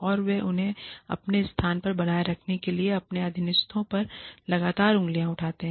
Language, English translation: Hindi, And, they constantly point fingers at their subordinates, to keep them in their place